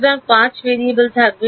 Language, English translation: Bengali, So, there will be 5 variables